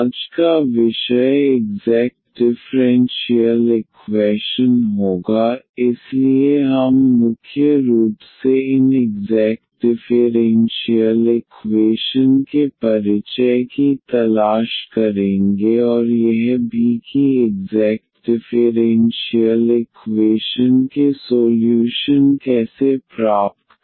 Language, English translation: Hindi, Today’s topic will be the exact differential equations, so we will mainly look for the introduction to these exact differential equations and also how to find the solutions of exact differential equations